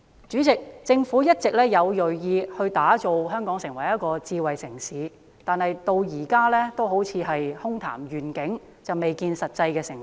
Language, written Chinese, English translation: Cantonese, 主席，政府一直銳意把香港打造成智慧城市，但至今仍好像空談願景，未見實際成果。, President the Government has been keen to develop Hong Kong into a smart city . However this still seems to be empty talk or just a vision with no actual results seen